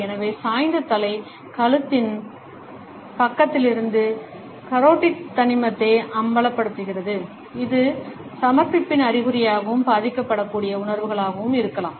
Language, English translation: Tamil, So, the tilted head exposes the carotid artery on the side of the neck, it may be a sign of submission and feelings of vulnerability